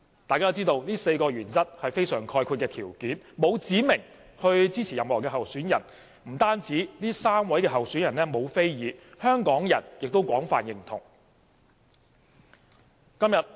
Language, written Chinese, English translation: Cantonese, 大家都知道這4項原則是非常概括的條件，沒有指明支持任何候選人，不單3位候選人沒有非議，香港人亦廣泛認同。, We all know that these four criteria are put in very generalized terms without any indication of support for any particular candidate . These criteria are not disputed by the three candidates and they are widely accepted by Hong Kong people